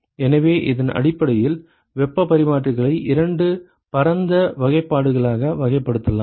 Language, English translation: Tamil, So, based on this one can actually classify heat exchangers into two broad classifications